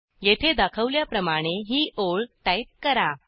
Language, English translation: Marathi, And type the line as shown here